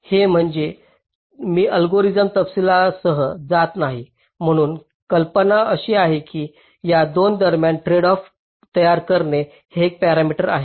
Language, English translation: Marathi, so i am not going with the details of the algorithm, but the idea is like this: there is a parameter that creates a tradeoff between these two